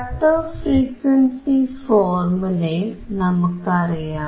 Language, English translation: Malayalam, And we know that the cut off frequency formula is 1/